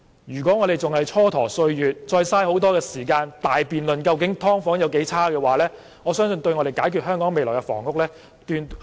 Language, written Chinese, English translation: Cantonese, 如果我們仍是蹉跎歲月，再浪費時間於辯論"劏房"環境有多惡劣，我相信絕對無助解決香港未來的房屋問題。, I think that if we procrastinate and keep wasting our time debating how unpleasant the environment of subdivided units is it will absolutely not help solve the housing problem of Hong Kong in the future